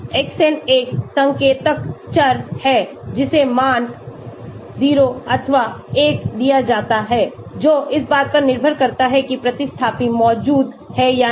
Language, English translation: Hindi, Xn is an indicator variable which is given the value 0 or 1 depending upon whether the substituent is present or not